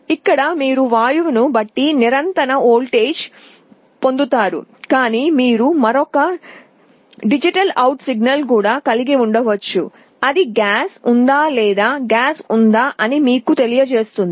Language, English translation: Telugu, Here you get a continuous voltage depending on the gas, but you can also have another digital out signal, that will tell you whether there is a gas or no gas